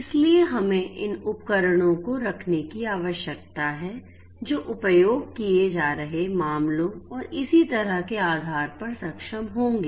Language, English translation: Hindi, So, we need to have these devices which will be enabled depending on the use cases being implemented and so on